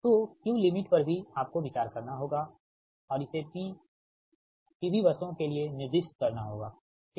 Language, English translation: Hindi, so q limit also you have to consider, and it has to be specified for p v buses, right